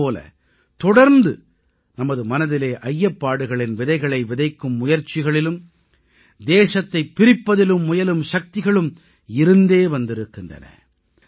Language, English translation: Tamil, Although, there have also been forces which continuously try to sow the seeds of suspicion in our minds, and try to divide the country